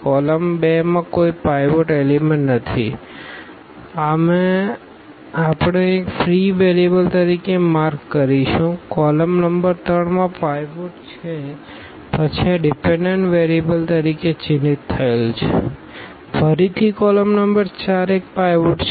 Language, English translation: Gujarati, There is no pivot element in column 2 we will mark as a free variable; column number 3 has a pivot then this is marked as a dependent variable; again column number 4 has a pivot